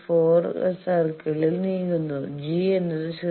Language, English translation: Malayalam, 4 circle g bar is equal to 0